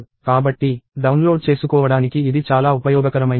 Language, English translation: Telugu, So, that is a very useful thing to download